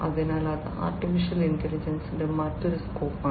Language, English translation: Malayalam, So, that is another scope of AI